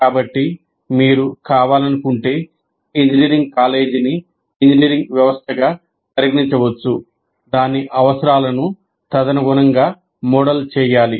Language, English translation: Telugu, So if you want, one can consider engineering college as an engineering system and model it accordingly